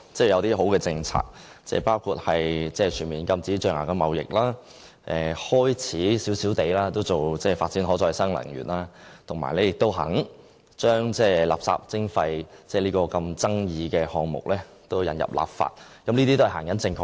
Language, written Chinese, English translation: Cantonese, 有些好的政策，包括全面禁止象牙貿易、開始發展少許可再生能源，以及願意將垃圾徵費這富爭議性的項目引入立法，這些都是方向正確的。, The Government will impose a full ban on ivory trade and introduce some Renewable Energy to the city . It also intends to legalize the controversial waste levying . These policies are on the right track